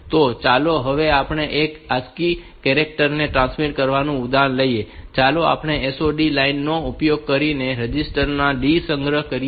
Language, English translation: Gujarati, So, let us take an example of transmitting one ASCII character, store in the register B using this SOD line